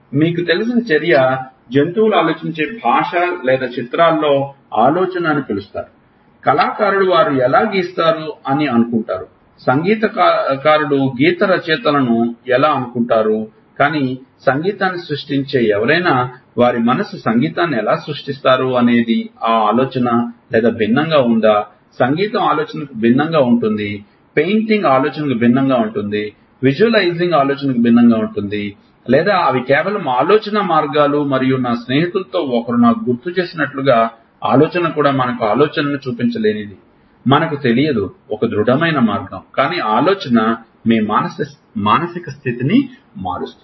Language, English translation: Telugu, Action you know is thought language do animals think or there is something called thinking in pictures how do artist think they draw, how do musicians think not the lyricists, but somebody who creates music how is their mind creating music is that thought or is it different, music is different from thought, painting is different from thought, visualizing is different from thought, or they are just ways of thought and also as one of my friend just reminded me is that thought also we do not know what we cannot show thought in a concrete way, but thought changes your mood